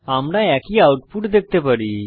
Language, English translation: Bengali, We see the same output